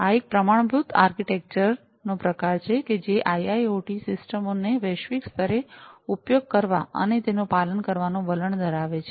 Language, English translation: Gujarati, So, this is sort of a standard architecture that IIoT systems globally tend to use and tend to follow